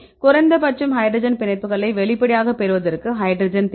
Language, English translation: Tamil, At least for getting these hydrogen bonds; hydrogen bonds are very important